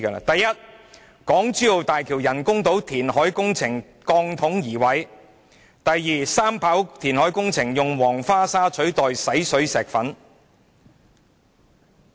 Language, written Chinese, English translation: Cantonese, 第一，港珠澳大橋人工島填海工程鋼筒移位；第二，三跑填海工程用黃花沙取代洗水石粉。, First there is settlement of steel cells at the reclaimed land of the artificial island for the Hong Kong - Zhuhai - Macao Bridge HKZMB to be followed by the use of clay sand in place of manufactured sand for the third runway reclamation